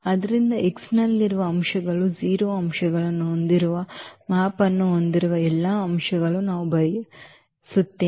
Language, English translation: Kannada, So, we want all those elements whose who those elements in X whose map is as a 0 element